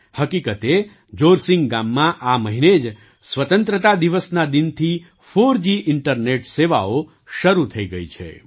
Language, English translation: Gujarati, In fact, in Jorsing village this month, 4G internet services have started from Independence Day